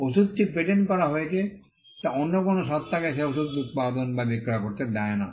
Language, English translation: Bengali, The fact that the drug is patented will not allow any other entity to manufacture or to sell that drug